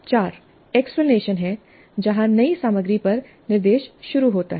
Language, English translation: Hindi, 4 is explanation where the instruction on the new material commences